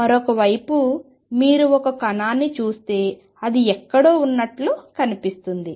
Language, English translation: Telugu, On the other hand if you look at a particle, it is look like somewhere